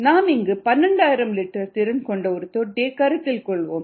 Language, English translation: Tamil, let us consider a tank of twelve thousand liter capacity